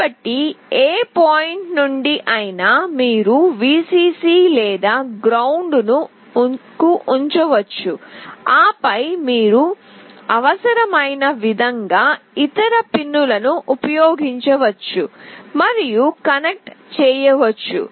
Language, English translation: Telugu, So, from any point you can put either Vcc or ground, and then you can use and connect with other pins as required